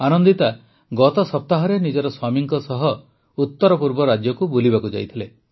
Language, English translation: Odia, Anandita had gone to the North East with her husband last week